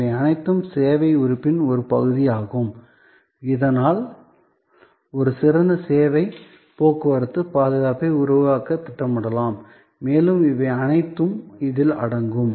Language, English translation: Tamil, All these are part of the service element thus can be planned to create a superior set of service, transport security and all these also go in this